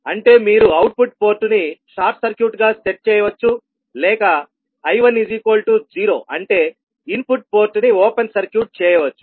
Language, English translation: Telugu, That means you set the output port short circuit or I1 is equal to 0 that is input port open circuit